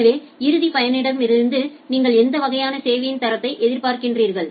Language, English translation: Tamil, So, what type of quality of service you are expecting from the end user